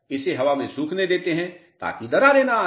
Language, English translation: Hindi, Allow it for air drying so that cracks do not appear